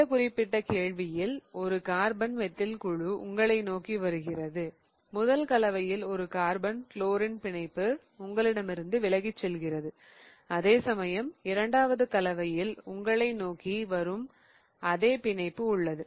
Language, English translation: Tamil, Now, in this particular question you have a carbon methyl group coming towards you and the first compound has a carbon chlorine bond going away from you whereas the second compound has the same bond coming towards you